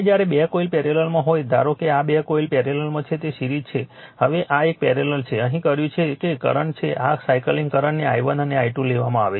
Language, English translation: Gujarati, Now, when 2 coils are in parallel suppose these 2 coils are in parallel that is series now this is a parallel what you have done it here that, current is this cyclic current is taken i1 and i 2